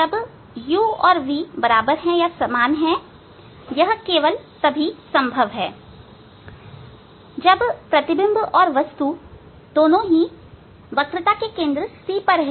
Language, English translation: Hindi, When u equal to v, when u equal to v, it is only possible when image and the object both are at the centre of curvature at c